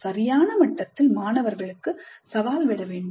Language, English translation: Tamil, So challenge the students at the right level